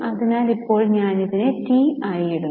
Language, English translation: Malayalam, So, right now I am putting it as T